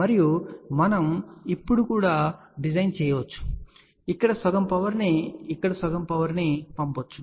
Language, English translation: Telugu, And we can also design now, that we can send half power here half power here